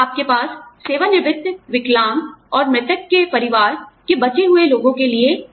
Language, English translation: Hindi, You have income for retirees, the disabled, and survivors of deceased